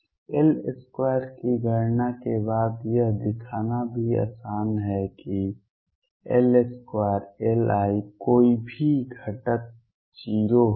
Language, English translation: Hindi, It is also easy to show after I calculate L square that L square L i any component would be 0